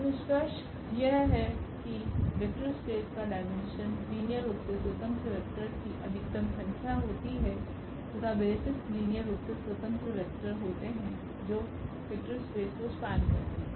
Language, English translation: Hindi, So, the conclusion is that we have the dimension which is the maximum number of linearly independent vectors in a vector space V and the basis is a set of linearly independent vectors that span the vector space